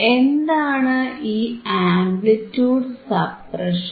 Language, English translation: Malayalam, What is amplitude suppression